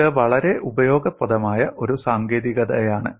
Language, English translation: Malayalam, It is a very useful technique